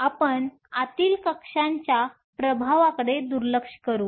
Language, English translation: Marathi, So, we would ignore the effect of the inner shell